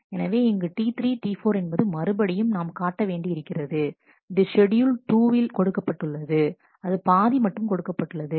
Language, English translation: Tamil, So, here we are again showing T 3 T 4 this is a schedule given schedule 2, which is just given partially